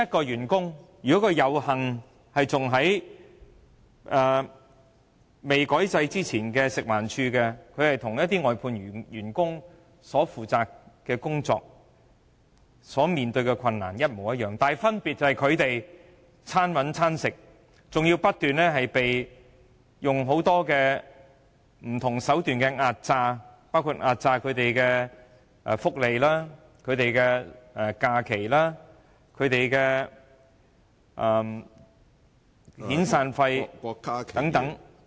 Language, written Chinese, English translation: Cantonese, 有幸在未改制之前進入食環署工作的員工，其工作性質和面對的困難與外判員工相同，分別在於外判員工"餐搵餐食"，更要不斷被很多不同的手段壓榨福利、假期、遣散費等......, For those workers who were fortunate enough to join FEHD before its change of system their work nature and difficulties are the same as those of outsourced workers . The difference is outsourced workers are living from hand to mouth . What is more the benefits holidays severance pay and so on of outsourced workers are constantly subject to exploitation